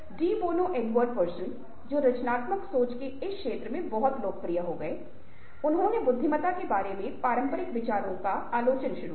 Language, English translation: Hindi, now, de bono: edward de bono, ah person who became very popular in this field of creative thinking, ah starts by critiquing ah the conventional ideas about intelligence